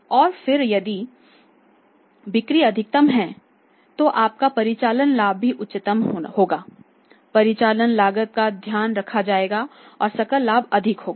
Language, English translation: Hindi, And then if the sales are maximum certainly your operating profit will also be highest and operating profit will be highest because sales are maximum and profit cost is taken care and the gross profit is higher